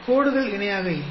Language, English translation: Tamil, The lines were not parallel